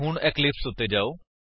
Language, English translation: Punjabi, Let us now switch to eclipse